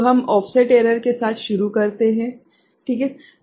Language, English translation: Hindi, So, we begin with offset error ok